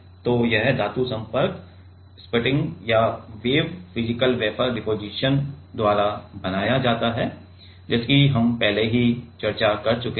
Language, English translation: Hindi, So, this metal contacts are made by sputtering or wave physical wafer deposition whatever we have already discussed